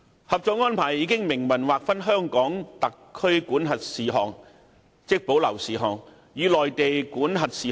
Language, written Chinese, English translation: Cantonese, 《合作安排》已明文劃分在內地口岸區內，屬香港特區管轄的事項和屬內地管轄的事項。, The Co - operation Arrangement has clearly defined matters over which Hong Kong would exercise jurisdiction and those over which the Mainland would exercise jurisdiction in the Mainland Port Area MPA